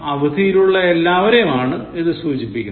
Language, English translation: Malayalam, It refers to all of them are on vacation